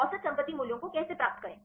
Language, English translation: Hindi, How to get the average property values